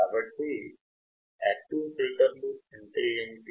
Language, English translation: Telugu, So, what are passive filters